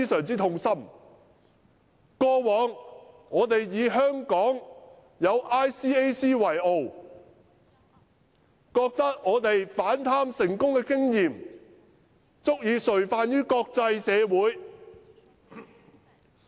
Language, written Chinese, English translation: Cantonese, 在從前，我們以香港有 ICAC 為傲，因為我們反貪成功的經驗，足以垂範國際社會。, In the past we used to pride ourselves on having ICAC in Hong Kong because it had set an exemplary model for the international community with its successes in combating graft